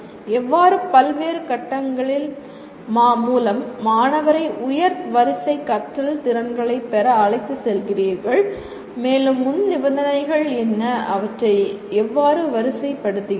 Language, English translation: Tamil, How do you take the student through various phases so that he is going to acquire the higher order learning skills and what are the prerequisites and how do you sequence them